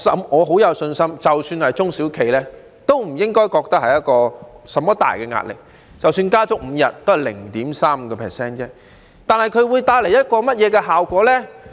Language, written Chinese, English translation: Cantonese, 我很有信心，即使是中小企，都不應該覺得有很大壓力，即使加足5天假期，也只是增加 0.35% 而已，這會帶來甚麼效果呢？, I am very confident that it should not create immense pressure on enterprises even the small and medium enterprises . Even if a total of five days of holidays are added the cost will only be increased by 0.35 % . What will be the effect?